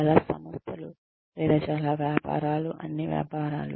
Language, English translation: Telugu, Most organizations, or most businesses, I think, all businesses are